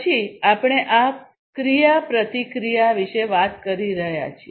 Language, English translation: Gujarati, Then we are talking about this interaction